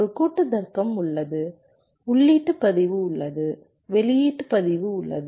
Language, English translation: Tamil, there is a combinational logic, there is a input register, there is a output register